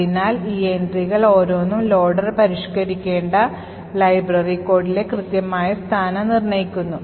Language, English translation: Malayalam, So, each of these entries determines the exact location in the library code the loader would need to modify